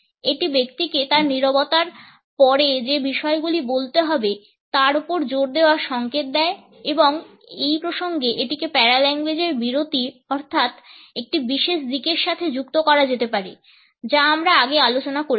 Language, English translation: Bengali, It signals emphasis on the points which the person has to speak after his silence and in these contexts it can be linked with caesura a particular aspect of paralanguage which we have discussed earlier